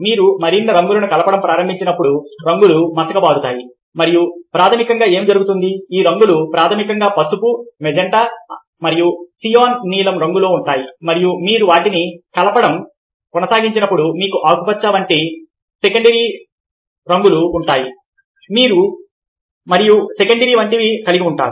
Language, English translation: Telugu, the colours becomes duller as you start mixing more colours and what basically happens is that these colours, the primary is yellow, magenta and a cyan, some form of blue, and as you keep on mixing them, you have secondary's like ah